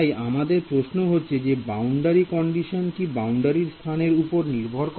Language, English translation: Bengali, So, your question is that is this boundary condition dependent on the boundary location